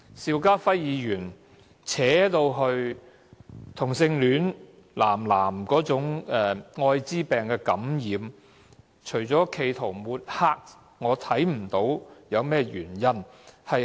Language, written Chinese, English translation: Cantonese, 邵家輝議員把《條例草案》的辯論延伸至男同性戀者的愛滋病感染率，除了企圖抹黑，我看不到有甚麼原因。, Mr SHIU Ka - fai extended the debate on the Bill to cover the AIDS infection rate of male homosexuals . I saw no reason for him to do so other than making an attempt at smearing